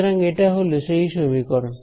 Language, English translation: Bengali, So, that is the expression over here